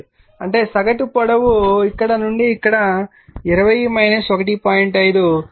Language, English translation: Telugu, 5; that means, mean length will be this side from here to here 20 minus 1